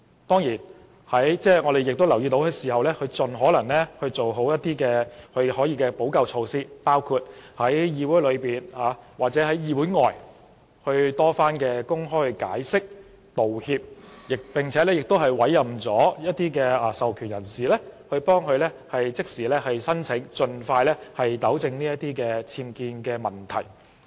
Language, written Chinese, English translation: Cantonese, 當然，我們留意到，她已盡可能做好她可以補救的措施，包括在議會內外多番公開解釋、道歉，並且委任授權人士協助她即時申請，希望盡快糾正僭建問題。, Of course we have noticed that she has done the best she can to make amends including making public explanations and apologies on various occasions within and without the Legislative Council and appointing authorized persons to help her submit immediate applications to rectify the UBWs as soon as possible